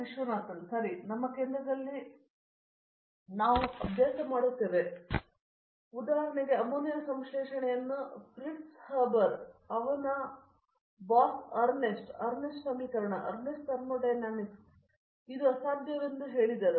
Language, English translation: Kannada, Okay this is one thing that in our center, that we are practicing for example for example I will tell you one example then you will and also this example is well known for example, when ammonia synthesis was proposed by Fritz Haber, his boss Ernest, Ernest equation, Ernest put thermodynamics and said it is impossible